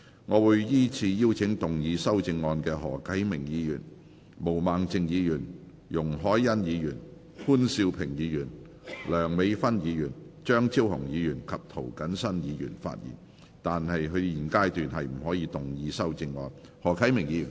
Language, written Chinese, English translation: Cantonese, 我會依次請要動議修正案的何啟明議員、毛孟靜議員、容海恩議員、潘兆平議員、梁美芬議員、張超雄議員及涂謹申議員發言；但他們在現階段不可動議修正案。, I will call upon Members who move the amendments to speak in the following order Mr HO Kai - ming Ms Claudia MO Ms YUNG Hoi - yan Mr POON Siu - ping Dr Priscilla LEUNG Dr Fernando CHEUNG and Mr James TO; but they may not move the amendments at this stage